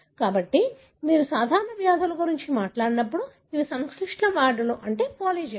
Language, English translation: Telugu, So, when you talk about common diseases, these are complex diseases, meaning polygenic